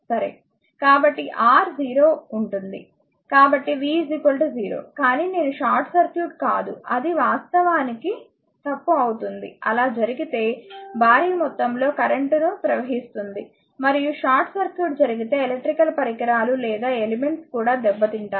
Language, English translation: Telugu, So, R tends to 0 so, v is equal to 0, but i is not 0 for short circuit it will be fault actually, it will carry huge amount of current and if short circuit happens your are electrical devices or elements will be damaged also, right